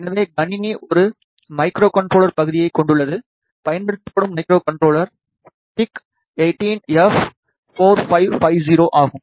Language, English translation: Tamil, So, the system consists of a microcontroller section the microcontroller used is PIC 18 F 4550